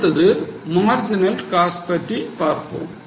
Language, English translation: Tamil, Now, the next one is marginal cost